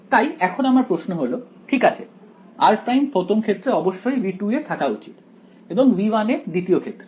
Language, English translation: Bengali, So, now the question is, fine r prime must belong to V 2 in the first case and V 1 in the next case, but where exactly should I put them